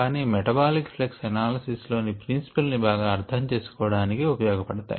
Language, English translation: Telugu, but these are good to understand the principles of metabolic flux analysis